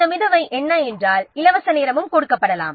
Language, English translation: Tamil, Also what is this float, I mean the free time also can be is given